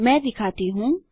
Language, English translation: Hindi, Let me demonstrate